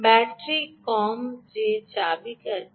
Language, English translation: Bengali, battery less, battery less